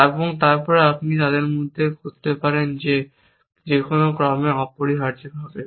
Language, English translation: Bengali, And then you could do between them in any order essentially